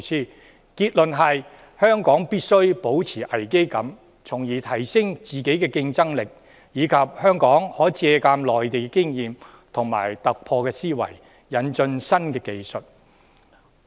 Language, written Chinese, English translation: Cantonese, 訪問團的結論是香港必須保持危機感，從而提升自己的競爭力；香港亦可借鑒內地的經驗，突破思維，引進新技術。, The conclusion reached by the delegation is that Hong Kong must maintain a sense of crisis to enhance its competitiveness and it may also draw on experience from the Mainland think with a different mindset and introduce new technology to the territory